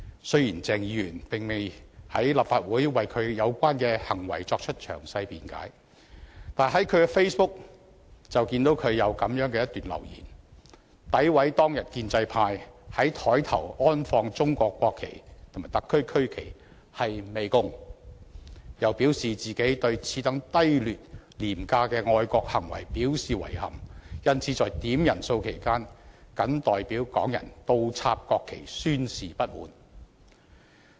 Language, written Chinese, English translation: Cantonese, 雖然鄭議員並未在立法會為他的有關行為作出詳細辯解，但他在 Facebook 有一段留言，詆毀當天建制派在桌上安放中國國旗和特區區旗是"媚共"，又表示自己"對此等低劣、廉價的愛國行為表示遺憾，因此在點人數期間，謹代表港人倒插區旗宣示不滿"。, Although Dr CHENG has not presented any detailed grounds of defence for his acts in question in the Legislative Council he has left a message on Facebook defaming the act of the pro - establishment camp of placing the national flags of China and the regional flags of SAR on the desks that day as pandering to the communists and indicating that he expressed deep regret at such despicable and low - cost patriotic acts so he inverted the regional flag during a quorum call on behalf of Hong Kong people to air grievances